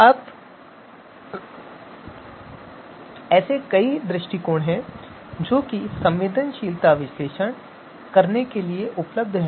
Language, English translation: Hindi, Now there are a number of approaches that are available to perform sensitivity analysis